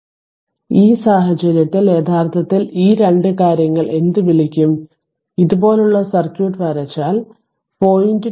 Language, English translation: Malayalam, So, ah so in in in the in that case actually this 2 things 2 your what you call, if your draw circuit like this that your 0